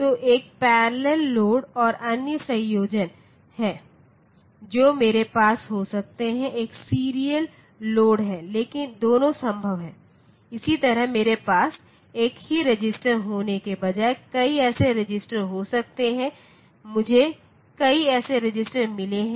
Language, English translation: Hindi, So, one is the parallel load and other combinations that I can have is a serial load, both are possible; similarly I can happen that I have got a number of such register instead of having a single register, I have got a number of such register